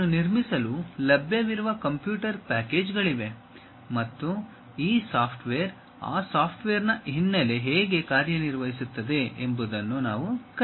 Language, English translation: Kannada, There are computer packages which are available to construct that and what we will learn is how these softwares, the background of those softwares really works